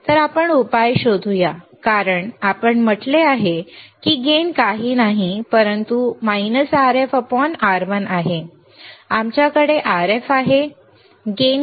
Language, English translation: Marathi, So, we can say Rf is nothing, but Rf is nothing, but gain into R1